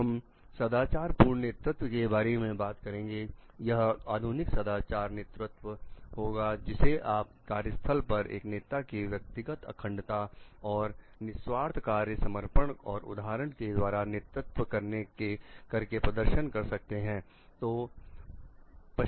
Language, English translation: Hindi, , it will modern moral leadership can be demonstrated in the workplace as a leaders personal integrity and selfishness job devotion and leading by example